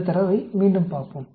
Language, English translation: Tamil, Let us look at these data again